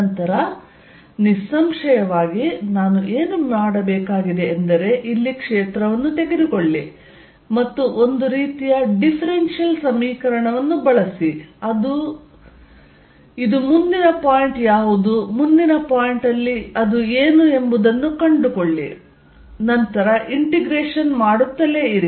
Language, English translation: Kannada, Then; obviously, what I need to do is, take the field out here and using some sort of a differential equation, find out what it is next point, what it is at next point and then keep integrating